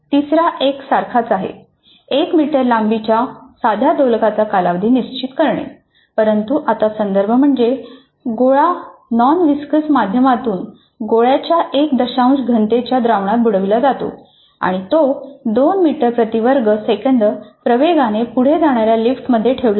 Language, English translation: Marathi, The third one is also same determine the time period of a simple pendulum of length 1 meter, but now the context is the bob dipped in a non viscous medium of density one tenth of the bob and is placed in lift which is moving upwards with an acceleration of 2 meters per second square